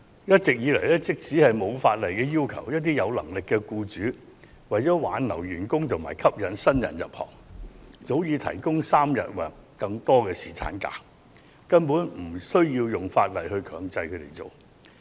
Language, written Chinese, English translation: Cantonese, 一直以來，即使法例未有要求，一些有能力的僱主為挽留員工和吸引新人入行，早已提供3天或更長的侍產假，政府無需立法強制他們這樣做。, All along some employers with the means have already offered three days or a longer duration of paternity leave in order to retain employees and attract new recruits despite the absence of any statutory requirements . It is not necessary for the Government to mandate them to do so through legislation